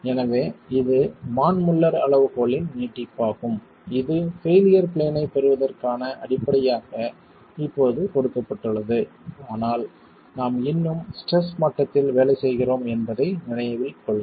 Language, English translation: Tamil, So, this is the extension of the Manmuller criterion which is now given as a basis to get a failure plane but mind you we are still working at the level of stresses